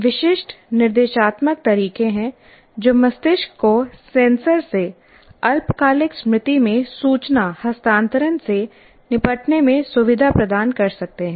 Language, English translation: Hindi, There are certain instructional methods can facilitate the brain in dealing with information transfer from senses to short term memory